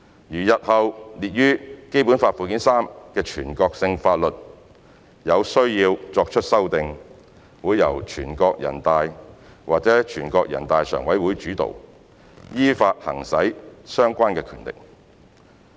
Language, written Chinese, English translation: Cantonese, 如日後列於《基本法》附件三的全國性法律有需要作出修訂，會由全國人大或人大常委會主導，依法行使相關的權力。, If there is a need to amend any national laws listed in Annex III to the Basic Law it will be led by NPC or NPCSC in accordance with their powers conferred by law